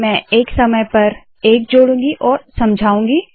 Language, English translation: Hindi, I am going to add one at a time and explain